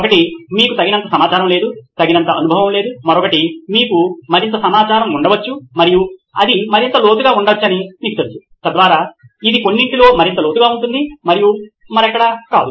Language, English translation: Telugu, One could be potentially you do not have enough information, do not have enough experience, other is you may have more information and you know understands it may get deeper, so that is probably even deeper in some and not somewhere else